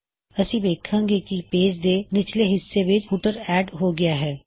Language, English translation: Punjabi, We see that a footer is added at the bottom of the page